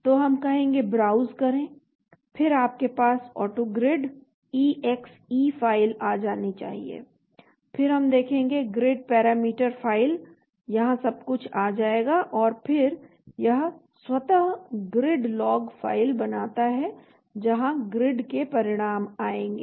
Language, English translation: Hindi, So, we say Browse, then you will have the AutoGrid exe file should come there then we will see Grid Parameter File will come here everything and then say it is automatically makes a Grid Log File where results of grids will come